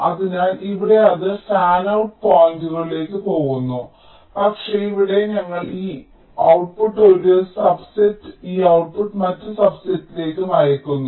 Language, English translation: Malayalam, so here it maybe going to many of the fanout points, but here we are sending this output to a subset and this output to the other subset